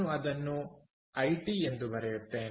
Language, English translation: Kannada, so i would write it as i t